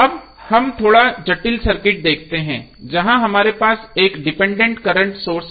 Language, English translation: Hindi, Now, let see slightly complex circuit where we have one dependent current source